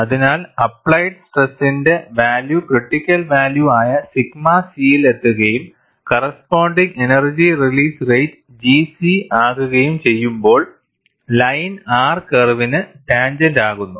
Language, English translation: Malayalam, So, when the value of the applied stress reaches the critical value sigma c, and the corresponding energy release rate is G c, the line becomes tangent to the R curve